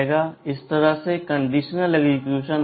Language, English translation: Hindi, This is how the conditional executions execute